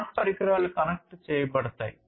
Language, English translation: Telugu, The smart devices will be connected